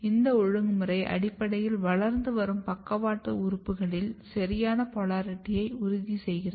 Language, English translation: Tamil, And this regulation is basically ensuring a proper polarity in the growing lateral organs